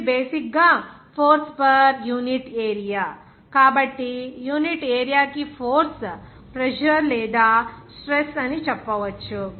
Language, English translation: Telugu, This is basically that force, so force per unit area, so force per unit area is the pressure or you can say stress